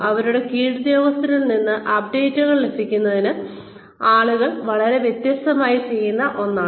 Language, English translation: Malayalam, Getting updates from their subordinates, is something, that people will do very differently